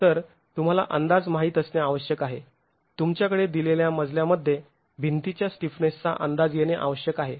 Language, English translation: Marathi, So, you need to know an estimate, you need to have an estimate of the stiffnesses of the walls in a given story